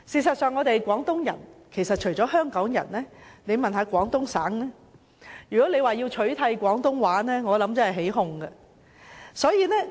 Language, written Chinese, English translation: Cantonese, 我們是廣東人，除香港人外，如果廣東省的市民被問及要取締廣東話，我想他們真的會起哄。, We are Cantonese people . Apart from Hong Kong people if people in Guangdong Province are asked as to whether Cantonese shall be replaced I think it will really cause a stir among them